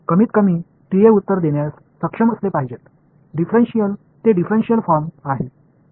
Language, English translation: Marathi, At least the TAs should be able to answer, differential it is in the differential form